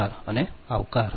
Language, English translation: Gujarati, thank you, even welcome